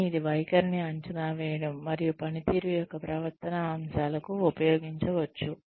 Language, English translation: Telugu, But, it could be used for, assessing attitude, and the behavioral aspects of performance